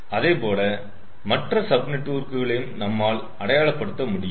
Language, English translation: Tamil, similarly we can identify the other sub networks